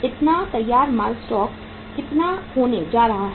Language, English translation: Hindi, So finished goods stock is going to be how much